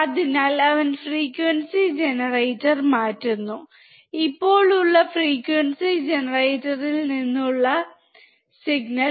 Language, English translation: Malayalam, So, he is changing the frequency generator; the signal from the frequency generator which is now 1